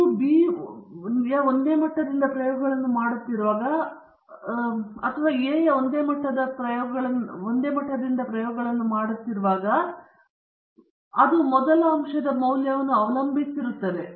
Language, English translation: Kannada, When you are doing experiments from one level of B and going to the other level of B, the response may depend upon the value of the first factor